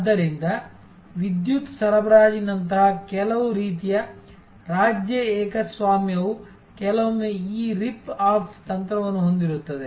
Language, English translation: Kannada, So, certain types of state monopoly like the electricity supply, sometimes has this rip off strategy